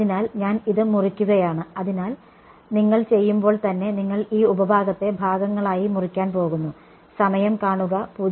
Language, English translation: Malayalam, So, I am chopping it, so, you are going to chop this sub into segments right when you do